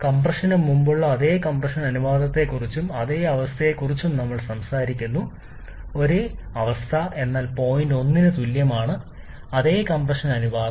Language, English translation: Malayalam, We are talking about same compression ratio and same state before compression, same state means point 1 is same, same compression ratio